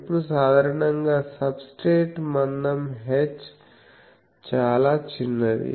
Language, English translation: Telugu, Now, usually the substrate thickness h is very small